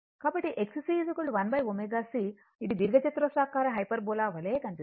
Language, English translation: Telugu, So, X C is equal to 1 upon omega C looks like a rectangular hyperbola right